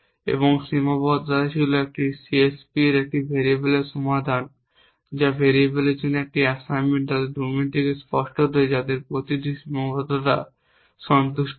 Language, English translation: Bengali, And constraints was this variables solution to a CSP is an assignment to each variable obviously from their domains such that each constraint is satisfied